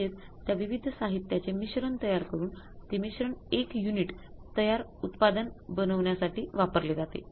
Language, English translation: Marathi, So, it means we have to create a mix of the materials to use that mix for manufacturing the finished unit, one unit of the finished product